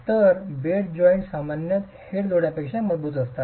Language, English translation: Marathi, The strength of the head joint and the bed joint is typically different